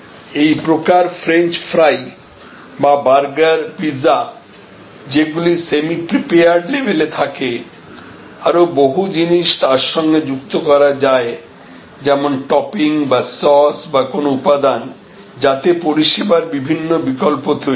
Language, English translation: Bengali, And like whether French fries or burgers or pizzas or which are almost available on semi prepared at semi prepared level and they can be combined and lot of things can be added like as a topping or as a sauce or as an ingredient, creating different service alternatives